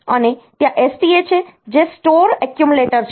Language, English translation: Gujarati, And there is STA which is store accumulator